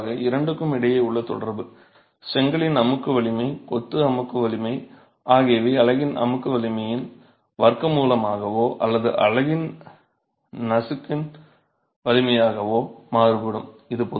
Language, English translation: Tamil, And typically the correlation between the two, the relation between the two is that the brickwork compressive strength, the masonry compressive strength varies as the square root of the compressor strength of the unit or the crushing strength of the unit